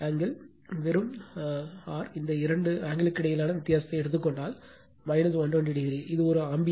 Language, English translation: Tamil, Angle is just your, what you call if you take the difference of between these two angles you find the minus 120 degree right, it is a ampere